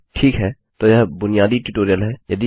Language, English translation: Hindi, Ok so thats the basic tutorial